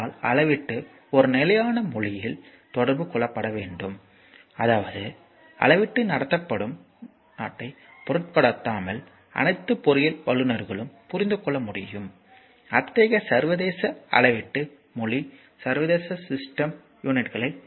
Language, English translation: Tamil, So; however, I have measurement must be communicated in a standard language, such that all engineering professionals can understand irrespective of the country where the measurement is conducted such an international measurement language is the international system units